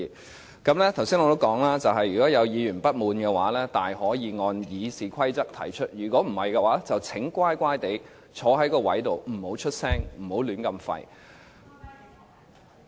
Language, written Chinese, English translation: Cantonese, 我剛才也說過，如果有議員不滿，可以按照《議事規則》提出，否則，請安坐席上不要發聲，不要"亂吠"。, As I have said just now Members who feel offended may raise their dissatisfaction under the Rules of Procedure otherwise please be seated properly and stop speaking . Please do not make a noise